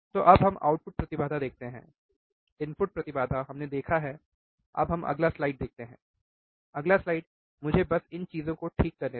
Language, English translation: Hindi, So now let us see the output impedance, input impedance we have seen now let us see the next slide, next slide let me just remove these things ok